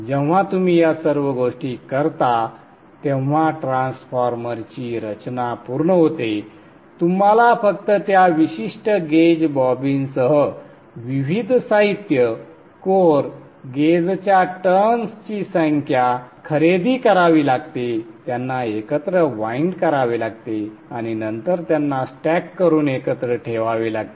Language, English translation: Marathi, Moment you do all these things, the design of the transformer is complete, you just have to buy the various materials, the core, the core, the number of turns, the gauge with that particular gauge, bobbin, wind them together and then stack them and put them together